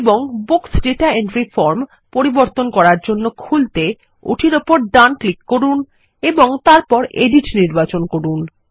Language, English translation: Bengali, And open the Books Data Entry form for modifying, by right clicking on it and then choosing edit